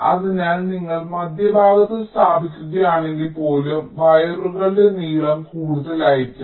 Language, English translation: Malayalam, so when, even if you place in the middles, still the length of the wires may longer